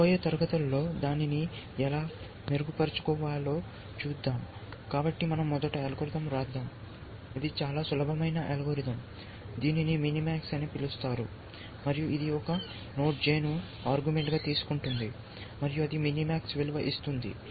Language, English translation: Telugu, We will see, how to improve upon that in that following classes, so let we first write the algorithm, it is a very simple algorithm minimax, it is call minimax, and it takes a node J